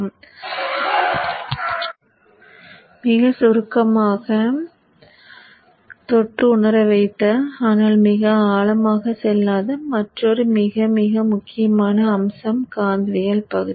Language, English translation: Tamil, Another in a very very important aspect that I have very briefly touched and sensitized you but not gone into very great depth is the part of magnetics